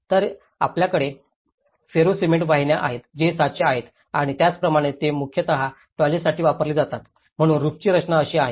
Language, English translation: Marathi, So, you have the Ferro Cement Channels which are moulds and similarly these are mostly used for toilets as well so this is how the roof structure is like